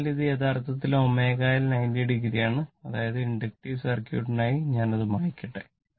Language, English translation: Malayalam, So, this is actually omega L 90 degree; that means, for inductive circuit then, let me clear it